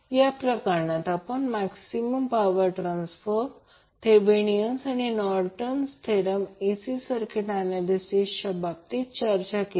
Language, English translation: Marathi, In this session we discussed about the maximum power transfer theorem, Norton’s and Thevenin theorem with respect to our AC circuit analysis